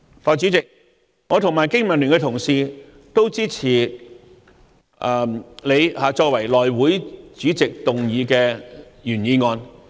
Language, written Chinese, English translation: Cantonese, 代理主席，我和經民聯的同事也支持你作為內務委員會主席動議的原議案。, Deputy President my colleagues in BPA and I support the original motion proposed by you in the capacity of Chairman of the House Committee